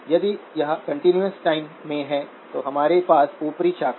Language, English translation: Hindi, If it is in a continuous time, we have the upper branch